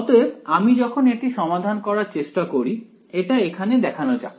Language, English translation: Bengali, So, when I go to sort of solve this, let us put this in over here alright